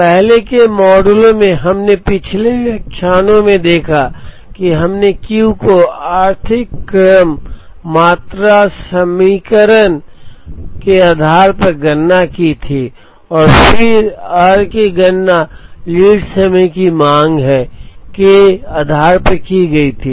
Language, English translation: Hindi, In the earlier models that, we saw in the previous lectures we had computed Q based on the economic order quantity equation and then, r was computed based on the lead time demand